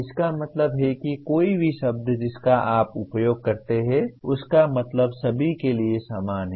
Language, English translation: Hindi, That means any word that you use it means the same for all